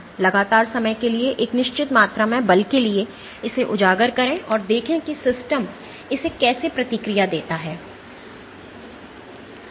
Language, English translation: Hindi, So, expose it to a certain amount of force for constant amount of time, and see how the system responds to it